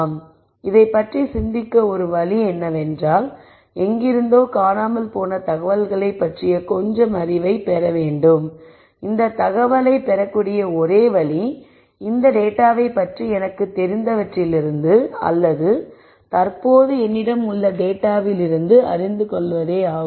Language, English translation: Tamil, So, one way to think about this is I need to get some knowledge about the missing information from somewhere and the only place that I can get this information is really from whatever I know about this data from whatever I have with me currently